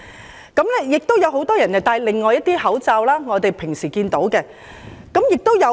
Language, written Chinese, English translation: Cantonese, 亦有很多人戴另一款口罩，即我們平時經常看到的一款。, And there is this other type of masks worn by many the ones that can be commonly seen